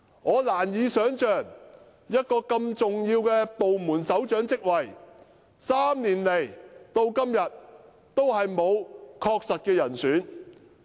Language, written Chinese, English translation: Cantonese, 我難以想象一個如此重要的部門首長職位，竟可懸空3年，至今仍未敲定確實的人選。, I can hardly imagine how such an important directorate post has been left vacant for as long as three years without any designated candidate